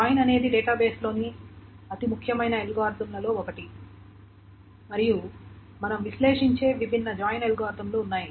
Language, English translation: Telugu, Join is one of the very important algorithms in a database and there are different join algorithms that we will analyze